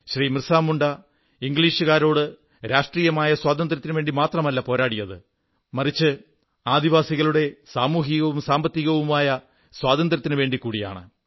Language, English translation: Malayalam, BhagwanBirsaMunda not only waged a struggle against the British for political freedom; he also actively fought for the social & economic rights of the tribal folk